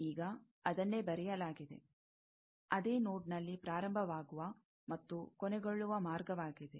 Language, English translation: Kannada, Now, that is what is written, a path starting and ending on the same node